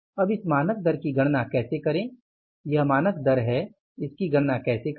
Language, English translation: Hindi, This is a standard rate how to calculate the standard rate